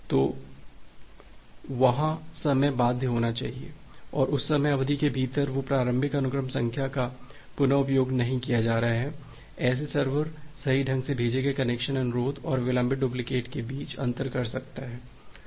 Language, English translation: Hindi, So, that time bound need to be there and within that time duration that initial sequence number is not going to be reused such that the server it can differentiate between a correctly sent connection request and the delayed duplicate of it